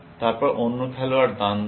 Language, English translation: Bengali, Then, the other player makes a move